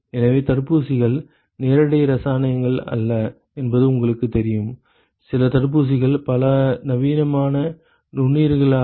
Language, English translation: Tamil, So, you know vaccines are not direct chemicals, some vaccines are attenuated microorganisms ok